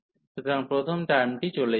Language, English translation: Bengali, So, first term will vanish